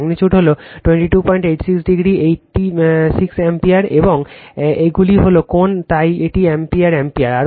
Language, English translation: Bengali, 86 degree 8 6 ampere and these are the angle right, so this is ampere ampere